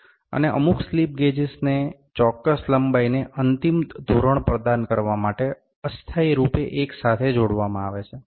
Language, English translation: Gujarati, And several slip gauges are combined together temporarily to provide an end standard of a specific length